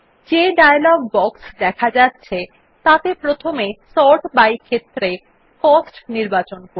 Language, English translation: Bengali, In the dialog box which appears, first select Cost in the Sort by field